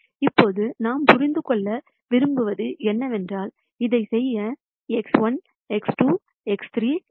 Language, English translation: Tamil, Now what we want to know is, where do this points X 1, X 2, X 3 lie to do this